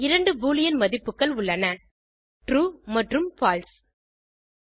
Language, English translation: Tamil, There are only two boolean values: true and false